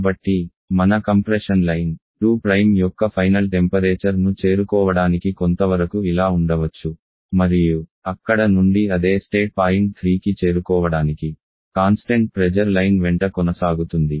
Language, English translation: Telugu, So, your compression line, may be some work like this the final temperature of 2 prime and from the it will process along the constant pressure line to reach the same state point 3